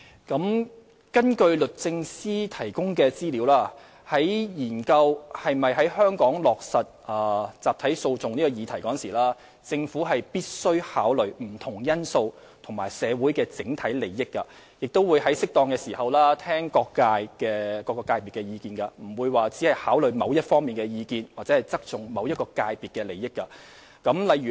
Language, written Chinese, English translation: Cantonese, 根據律政司提供的資料，在研究是否在香港落實集體訴訟這議題時，政府必須考慮不同因素及社會的整體利益，也會在適當時諮詢各界，不會只考慮某一方的意見或側重某一界別的利益。, According to the information provided by DoJ when studying whether class actions should be implemented in Hong Kong the Government must take into account various factors and the overall interest of society and also consult all sectors of the community in due course rather than considering only the views of a certain party or placing undue emphasis on the interest of a certain sector